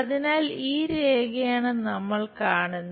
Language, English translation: Malayalam, So, this is the line what we are seeing